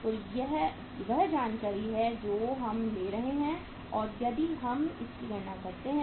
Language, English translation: Hindi, So this is the information we are taking and if we calculate this